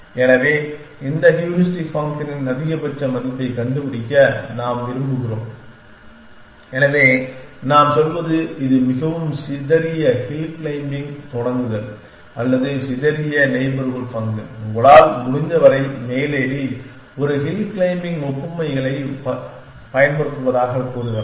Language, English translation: Tamil, So, we want to find the maximum value of this heuristic function, so what we are saying is it start with the most sparse hill claiming most sparse neighborhood function claim us as claim up as much as you can, using a hill claiming analogy